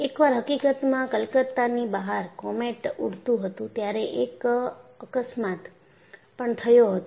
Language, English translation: Gujarati, In fact, there was also an accident of Comet flying out of Calcutta